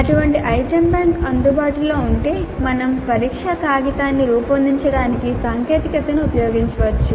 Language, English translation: Telugu, So if such an item bank is available we can use the technology to create a test paper